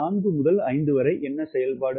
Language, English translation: Tamil, what is the operation from four to five